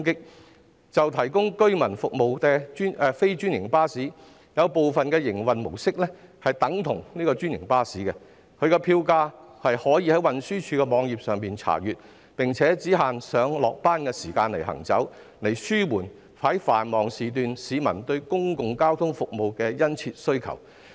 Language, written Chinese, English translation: Cantonese, 以向居民提供服務的非專營巴士為例，有部分營運模式等同專營巴士，票價可以在運輸署網頁查閱，並且只限上下班時間行駛，以紓緩繁忙時段市民對公共交通服務的殷切需求。, Take non - franchised buses providing services for residents as an example some of them are operated in the same manner as franchised buses . Information on their fares is available on the website of the Transport Department . Furthermore they are restricted to operating only in commuters rush hours to relieve the peoples heavy demand for public transport services during peak hours